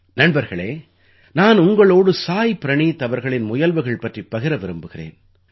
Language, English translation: Tamil, Friends, I want to tell you about the efforts of Saayee Praneeth ji